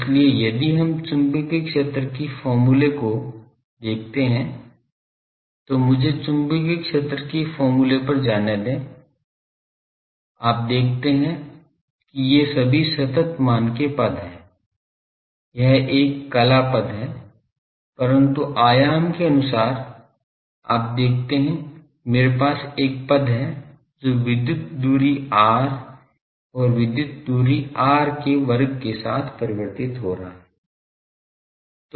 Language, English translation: Hindi, So, if we look at the magnetic field expression let me go to the magnetic field expression, you see that these are all constant terms this is a phase term, but magnitude wise you see I have a term varying with electrical distance r and square of the electrical distance r